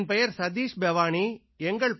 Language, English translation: Tamil, My name is Satish Bewani